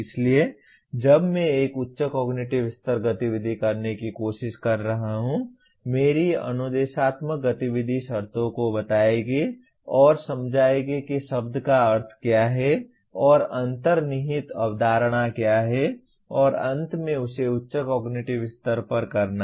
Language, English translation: Hindi, So when I am trying to, a higher cognitive level activity my instructional activity will introduce the terms and explain what the term means and what the underlying concept is and finally make him do at a higher cognitive level